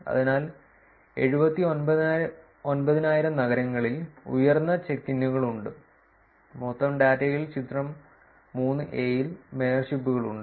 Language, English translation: Malayalam, So, 79,000 cities have higher check ins, have mayorships in the figure 3 in the total data